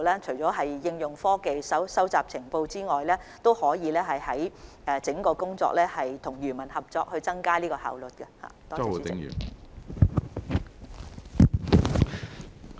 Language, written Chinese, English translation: Cantonese, 除了應用科技及收集情報外，當局也會在工作上與漁民合作，以增強效用。, In addition to applying technologies and gathering information the authorities will also cooperate with fishermen to enhance the effectiveness of the work